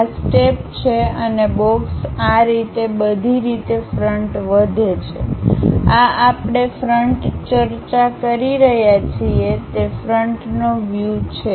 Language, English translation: Gujarati, These are the steps and the box goes all the way in this way, that is the front view what we are discussing